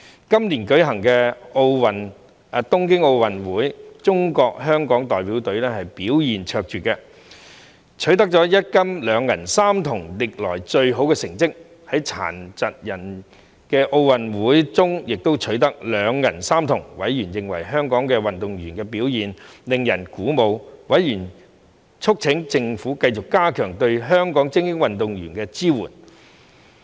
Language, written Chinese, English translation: Cantonese, 今年舉行的東京奧運會，中國香港代表隊表現卓越，取得一金、兩銀、三銅歷來最好的成績；在殘疾人奧運會中亦取得兩銀三銅，委員認為香港運動員的表現令人鼓舞，促請政府繼續加強對香港精英運動員的支援。, The Hong Kong China Delegation performed with distinction at the Tokyo Olympic Games held this year achieving the best results of one gold two silver and three bronze medals in Hong Kong history with two silver and three bronze medals won at the Paralympic Games as well . Members considered the performance of Hong Kong athletes very encouraging and urged the Government to continue to strengthen support for Hong Kongs elite athletes